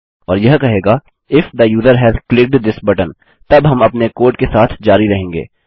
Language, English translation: Hindi, And this will say if the user has clicked this button, then we can carry on with our code